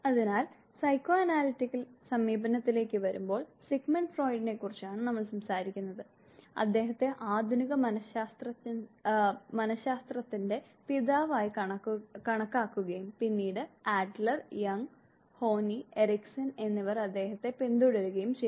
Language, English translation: Malayalam, So coming to psychoanalytic approach, Sigmund Freud we have been talking about him that he was considered as the father of Modern Psychology and was later on followed by Adler, Jung, Horneye and Erikson